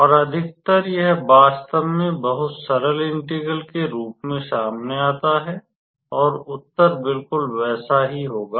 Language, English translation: Hindi, And in most of the cases, this actually comes out to be very simpler integral to compute and the answer would exactly be same